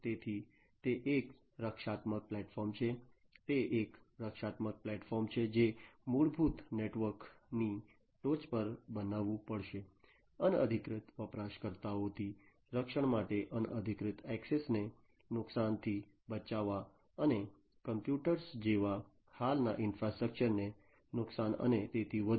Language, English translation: Gujarati, So, it is a protective platform, it is a protective platform that will have to be created on top of the basic network, for protecting from unauthorized users, protecting from damage unauthorized access, and damage to the existing infrastructure like computers etcetera and so on